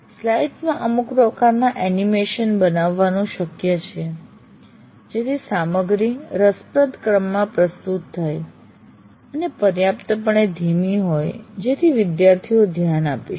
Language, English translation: Gujarati, It is possible to create some kind of animations into the slides so that the material is presented in a very interesting sequence and slow enough for the student to keep track